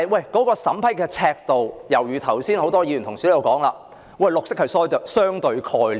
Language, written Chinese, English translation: Cantonese, 然而，就審批的尺度而言，正如剛才很多議員所說，綠色是相對的概念。, However as regards the rule to be applied for approval rightly as many Members have said green is a relative concept